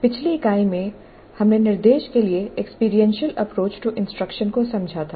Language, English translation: Hindi, In the earlier unit, we understood the experiential approach to instruction